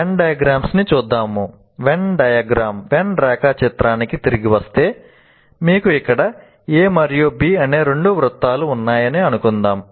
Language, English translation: Telugu, So getting back to when diagram, let's say here you have two circles, A and B, and then this is A union B